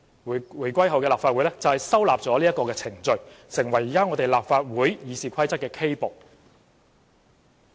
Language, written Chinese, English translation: Cantonese, 回歸後的立法會收納了這些程序，成為現時立法會《議事規則》的 K 部。, The post - 1997 Legislative Council accepted such procedures which have become Part K of RoP of the Legislative Council nowadays